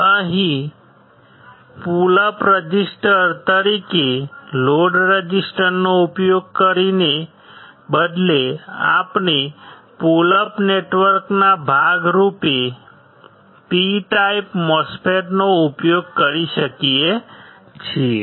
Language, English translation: Gujarati, Here, instead of using the load resistors as a pullup resistor, we can use P type MOSFET as a part of pullup network